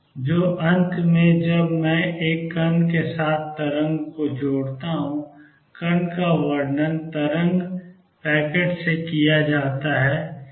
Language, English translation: Hindi, So, to conclude when I associate a wave with a particle: the particle, particle is described by what I call a wave packet